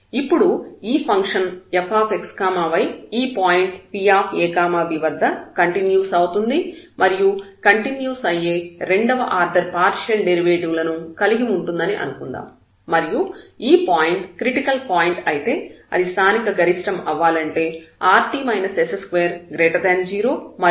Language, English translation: Telugu, And then if this function fx let us assume that is a continuous and have continuous second order partial derivatives at this point and if this point is a critical point then at this point p there will be local maximum, if this rt minus s square is positive and r is negative